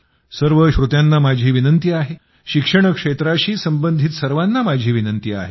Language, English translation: Marathi, I appeal to all the listeners; I appeal to all those connected with the field of education